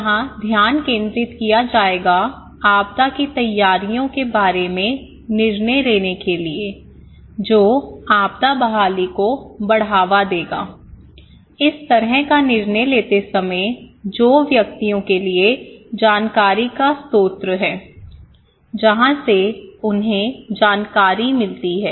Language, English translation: Hindi, So, the focus here would be that to make the decision about disaster preparedness that would lead to disaster recovery, okay for the people while make this kind of decision, who are the source of information for individuals, from where they get the information okay